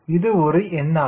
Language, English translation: Tamil, just a number